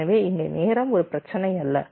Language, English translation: Tamil, so here time is also not that much of an issue